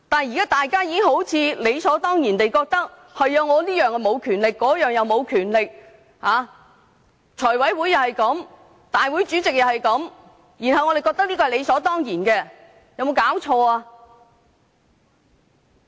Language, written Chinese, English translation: Cantonese, 現在大家好像理所當然地認為，立法會沒有這種權力，立法會主席也沒有這種權力，這是怎麼搞的？, Now everyone thinks as a matter of course that the Legislative Council does not have such power and that the President of the Legislative Council also does not have such power; what has gone wrong?